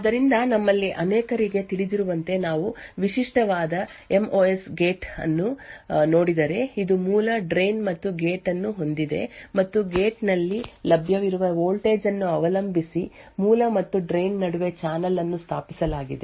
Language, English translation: Kannada, So, if we look at a typical MOS gate as many of us know, So, it has a source, drain and gate and there is a channel and established between the source and drain depending on the voltage available at the gate